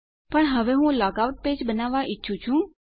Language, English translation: Gujarati, But now I want to create a log out page